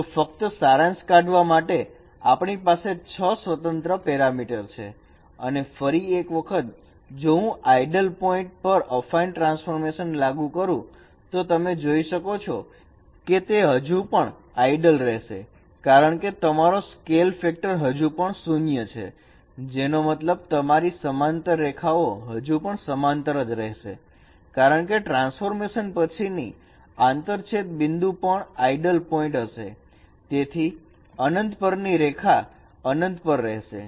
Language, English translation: Gujarati, So just to summarize, you have six independent parameters and once again, if I apply a fine transformation on ideal points, you can see that it still remains ideal because your scale factor still remains zero, which means that your parallel lines, they will still remain parallel because after transformation, the intersection points also are ideal points